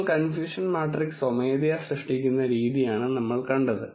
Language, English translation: Malayalam, What we have seen this is the way you generate the confusion matrix manually